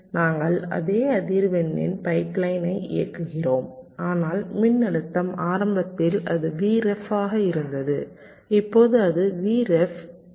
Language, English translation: Tamil, we run the pipe line at the same frequency but the voltage, initially it was v ref, now it has become v ref by one point eight, three